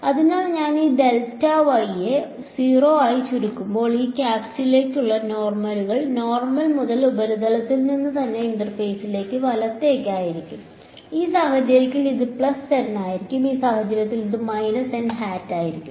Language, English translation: Malayalam, So, as I shrink this delta y down to 0 the normals to this to these caps will be along the normal to the surface itself right to the interface, in this case it will be plus n in this case it will be minus n hat right